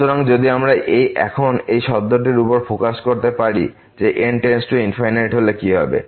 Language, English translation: Bengali, So, if we can now focus on this term that what will happen when goes to infinity